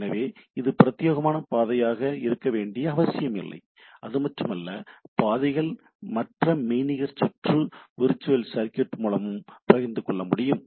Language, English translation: Tamil, So, it is not necessarily truly dedicated path not only that the paths can be shared by other virtual circuit also, right